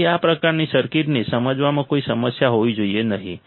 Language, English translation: Gujarati, So, there should be no problem in understanding these kind of circuits